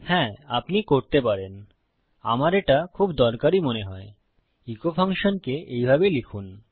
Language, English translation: Bengali, Right, you can – and I find this very useful – write your echo function like this